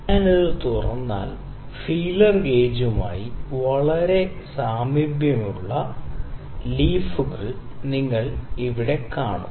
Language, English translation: Malayalam, If I open it, you will see the various leaves here, which are very similar to the feeler gauge